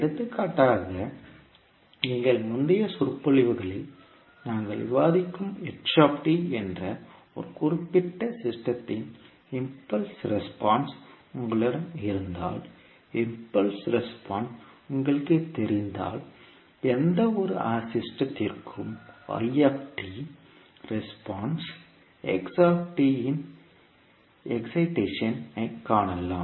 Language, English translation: Tamil, For example if you have the impulse response of a particular system that is ht, which we discuss in our previous lectures, so if you know the impulse response, you can find the response yt for any system with the excitation of xt